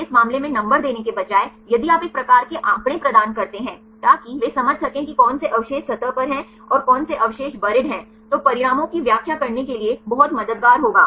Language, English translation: Hindi, So, in this case instead of giving numbers, if you provide a kind of figures so that, they can understand which residues which are at the surface and which residues are the buried then will be very helpful to interpret the results